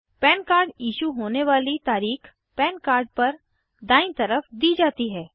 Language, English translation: Hindi, The Date of Issue of the PAN card is mentioned at the right hand side of the PAN card